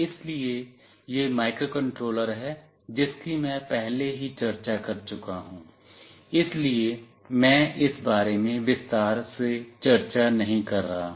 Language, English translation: Hindi, So, this is the microcontroller I have already discussed, so I am not discussing in detail about this